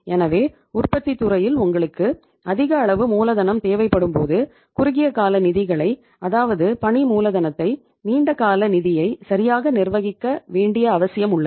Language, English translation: Tamil, So when you need the working capital in the manufacturing sector that is in the large amount so it means there is a need to manage the short term funds, the working capital as there is a need to manage the long term funds right